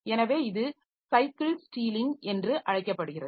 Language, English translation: Tamil, So, this is called something called cycle stealing and all that